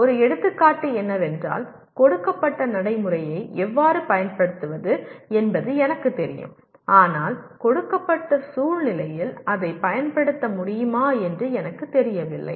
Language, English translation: Tamil, An example is I know how to apply a given procedure but I do not know whether it can be applied in a given situation